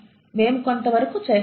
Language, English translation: Telugu, And we do, to some extent